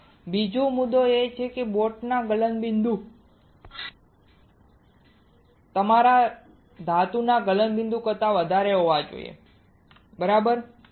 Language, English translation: Gujarati, Now another point is the melting point melting point of boat should higher than melting point of your metal correct right